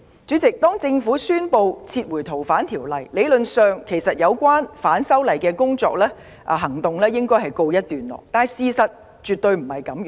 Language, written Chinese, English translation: Cantonese, 主席，政府宣布撤回《條例草案》後，有關反修例的行動理應告一段落，事實卻絕非如此。, President after the Government had announced the withdrawal of the Bill actions to oppose the proposed legislative amendments should have come to a halt . However it was absolutely not the actual situation